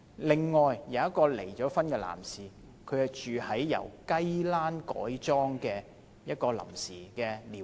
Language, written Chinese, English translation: Cantonese, 另外，一位離婚男士住在一個由雞欄改裝成的臨時寮屋。, Also a divorced man lives in a temporary squatter hut converted from a chicken coop